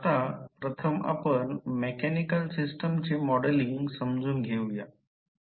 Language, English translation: Marathi, Now, let us first understand the modeling of mechanical systems